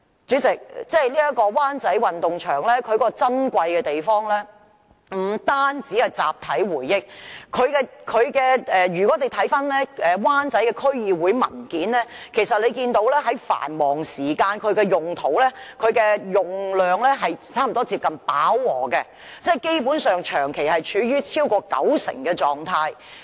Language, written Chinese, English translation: Cantonese, 主席，灣仔運動場珍貴之處，不單是集體回憶，如果翻看灣仔區議會的文件，其實會看到它在繁忙時間的用途及用量，差不多接近飽和，基本上是長期處於超過九成的狀態。, And a corner of the Wan Chai Sports Ground has already become a storage area of MTRCL . President the Wan Chai Sports Ground is precious to us and it is more than a site of collective memory . We can notice from the papers of the Wan Chai District Office that its utilization rate for various usages during peak hours is nearly saturated basically and constantly reaching over 90 %